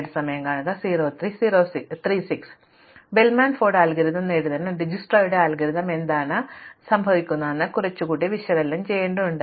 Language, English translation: Malayalam, So, to get to the Bellman Ford algorithm we have to analyze a little bit more about what is happening in Dijsktra's algorithm